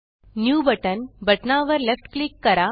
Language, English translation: Marathi, Left click the new button